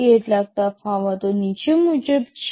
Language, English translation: Gujarati, Some of the differences are as follows